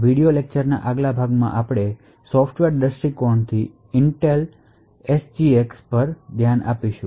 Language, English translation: Gujarati, In this part of the video lecture we will look at Intel SGX more from a software perspective